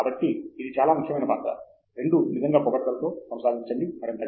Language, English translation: Telugu, So, that is a very important role that both actually compliment, proceed further